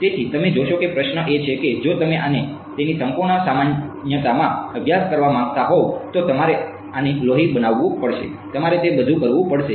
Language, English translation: Gujarati, So, you see the question is if you want to study this in its full generality then you will have to make this to be blood, you will have to do everything all that